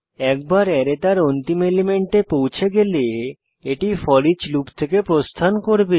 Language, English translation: Bengali, Once the array reaches its last element, it will exit the foreach loop